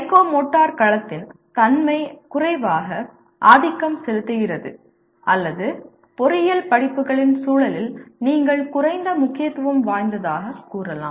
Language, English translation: Tamil, Whereas the nature of psychomotor domain is less dominant or you can say less important in the context of engineering courses